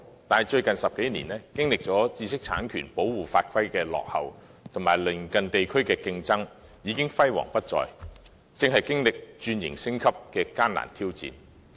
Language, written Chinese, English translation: Cantonese, 可是，最近10多年，由於知識產權保護法規的落後，以及來自鄰近地區的競爭，本地創意工業已經輝煌不再，正面對轉型升級的艱難挑戰。, However in the past decade or so given our backward laws and regulations on intellectual property protection and the competition from neighbouring regions the local creative industry has lost its glory and is currently faced with grave challenges from restructuring and upgrading